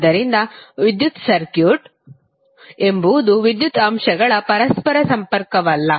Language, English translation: Kannada, So electric circuit is nothing but interconnection of electrical elements